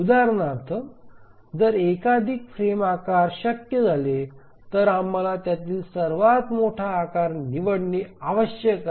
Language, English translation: Marathi, If we find that multiple frame sizes become possible, then we need to choose the largest of those frame sizes